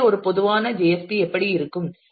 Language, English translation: Tamil, So, this is how a typical JSP will look like